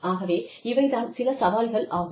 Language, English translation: Tamil, So, these are some of the challenges